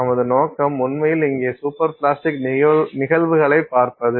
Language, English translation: Tamil, We are using it in the context of superplasticity